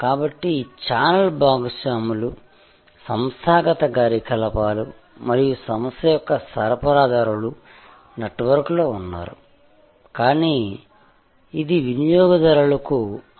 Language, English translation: Telugu, So, the channel partners, the organizational operations and the organisations suppliers were in a network, but which was sort of opaque to the consumer